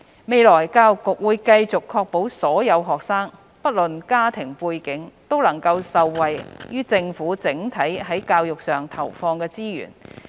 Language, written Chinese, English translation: Cantonese, 未來，教育局會繼續確保所有學生，不論其家庭背景，都能受惠於政府整體在教育上投放的資源。, In the future the Bureau will continue to ensure that all students irrespective of their family background can benefit from the Governments overall investment in education